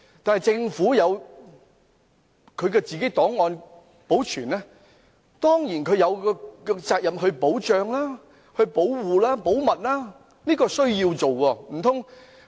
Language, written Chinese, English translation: Cantonese, 就政府自行保存的檔案，政府當然有責任將檔案保護保密，這是必須的。, For the archives kept by the Government itself of course the Administration has the responsibility to keep them safe and confidential